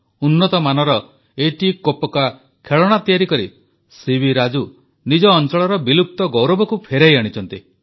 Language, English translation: Odia, By making excellent quality etikoppakaa toys C V Raju has brought back the lost glory of these local toys